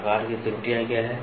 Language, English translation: Hindi, What are the errors of forms